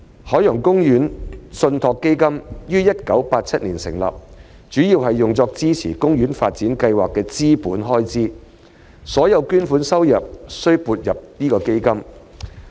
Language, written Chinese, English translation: Cantonese, 海洋公園信託基金於1987年成立，主要用作支持海洋公園發展計劃的資本開支，所有捐款收入須撥入基金。, The Ocean Park Trust Fund was established in 1987 mainly to support capital expenditure of development projects in OP . All donations received should be credited to the Trust Fund